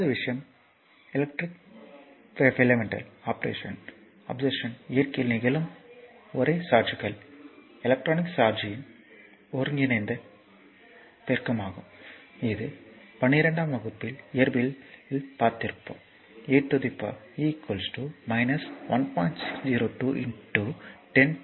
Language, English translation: Tamil, Second thing is according to experimental observation, the only charges that occur in nature are integral multiplies of the electronic charge that e is equal to this will know from your class 12 physics also, e is equal to minus 1